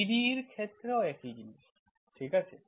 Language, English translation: Bengali, Same thing with the PDE, okay